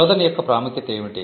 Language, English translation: Telugu, Importance of search